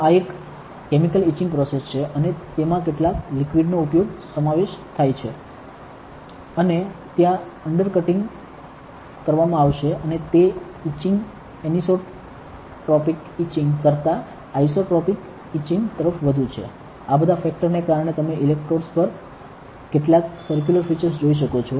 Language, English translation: Gujarati, So, this is a chemical etching process and that involves some liquids and there will be undercutting and that etching is more towards isotropic etching than anisotropic etching, because of all these factors you can see some circular features on the electrodes